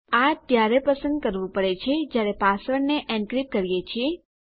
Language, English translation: Gujarati, We get to choose this when we encrypt our password